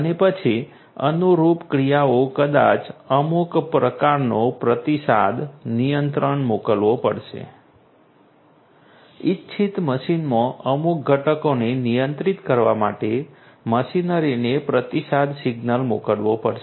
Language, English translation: Gujarati, And then the corresponding actions you know maybe some kind of a feedback control will have to be sent a feedback signal will have to be sent to the machinery to control to control certain components in the desired machine